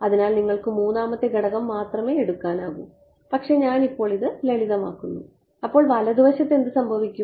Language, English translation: Malayalam, So, only 3rd component you can take all, but I am just simplifying it right now and what happens to the right hand side